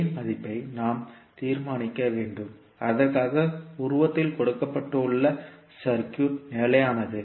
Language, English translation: Tamil, We need to determine the value of k for which the circuit which is given in figure is stable